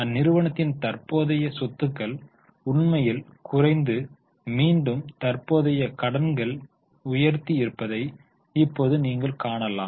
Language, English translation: Tamil, Now you can see that their current assets which actually went down and again have gone up